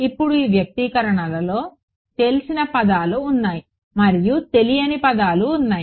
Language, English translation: Telugu, Now, in these expressions there are terms that are known and there are terms that are not known